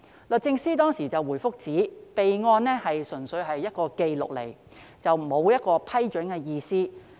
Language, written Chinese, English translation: Cantonese, 律政司當時回覆指備案純粹是一個紀錄，沒有批准的意思。, At that time the Department of Justice replied that the reporting was purely for the record rather than an approval